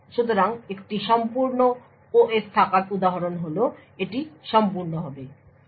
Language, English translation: Bengali, So, examples of having a full OS is that it will have complete